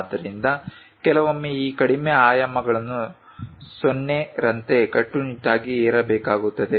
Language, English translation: Kannada, So, sometimes this lower dimensions supposed to be strictly imposed like 0